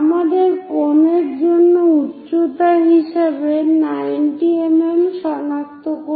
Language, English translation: Bengali, We have to locate 90 mm as height for the cone, 90 mm